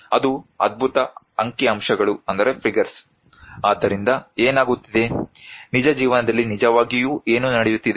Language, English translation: Kannada, That is amazing figures right, so what is happening then, what is actually happening in the real life